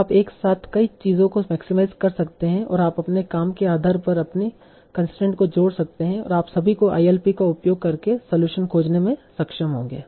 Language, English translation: Hindi, So you can also maximize multiple things together and you can keep on adding your constraints depending on your and your task and you will still be able to find the solution using ILP